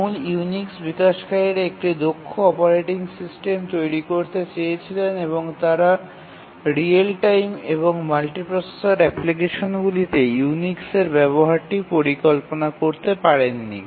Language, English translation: Bengali, The original Unix developers wanted an efficient operating system and they did not visualize the use of Unix in real time and multiprocessor applications